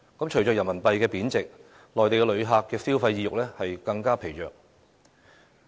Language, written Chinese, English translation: Cantonese, 隨着人民幣貶值，內地旅客的消費意欲更疲弱。, Besides the depreciation of Renminbi has served to dampen their consumption desire